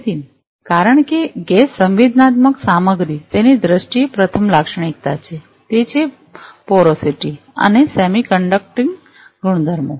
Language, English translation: Gujarati, So, as you know that the gas sensing materials are characterized first in terms of it is porosity and semiconducting properties